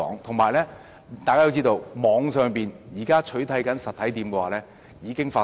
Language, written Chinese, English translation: Cantonese, 大家要知道，網上店鋪取締實體店的情況已經發生。, We must know that online shops are now replacing physical shops